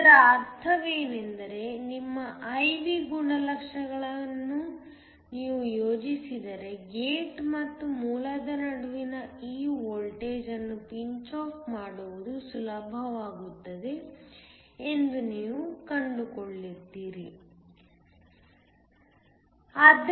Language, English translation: Kannada, What this means is that if you plot your I V characteristics you are going to find that pinch off becomes easier higher this voltage between the gate and the source